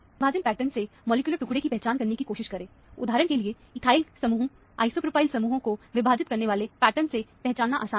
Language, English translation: Hindi, From the splitting pattern, try to identify the molecular fragment; for example, ethyl group, isopropyl groups are easy to identify from the splitting pattern